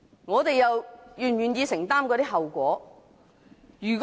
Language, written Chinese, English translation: Cantonese, 我們是否願意承擔這些後果？, Are we willing to bear such consequences?